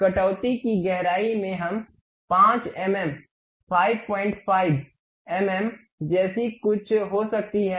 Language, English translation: Hindi, The depth of the cut we can have something like 5 mm, 5